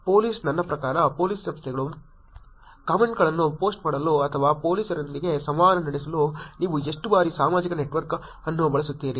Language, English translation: Kannada, Police, I mean Police Organizations; how often do you use social network to post comments or interact with police